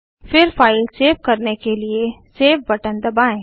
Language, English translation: Hindi, Now, let us save the file by clicking on the Save button